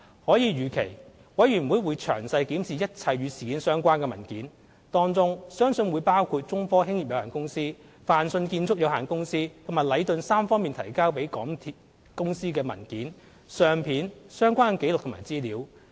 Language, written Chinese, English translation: Cantonese, 可以預期，委員會會詳細檢視一切與事件相關的文件，當中相信會包括中科興業有限公司、泛迅建築有限公司和禮頓三方提交予港鐵公司的文件、相片、相關的紀錄和資料。, It is anticipated that the Commission will examine all the related documents in detail including documents photos relevant records and information submitted to MTRCL by the three parties namely China Technology Corporation Limited Fang Sheung Construction Company and Leighton